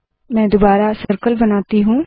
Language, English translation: Hindi, I want to place a circle